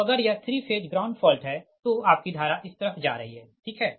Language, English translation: Hindi, so if it is a three phase fault to the ground, the current that is, it is going to your